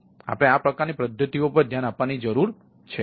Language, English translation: Gujarati, so this sort of mechanisms we need to look into